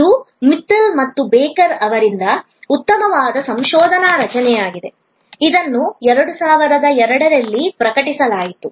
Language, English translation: Kannada, This is a nice research construct from Mittal and Baker, this was published in 2002